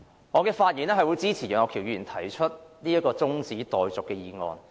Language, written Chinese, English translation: Cantonese, 我發言支持楊岳橋議員提出的中止待續議案。, I rise to speak in support of the adjournment motion proposed by Mr Alvin YEUNG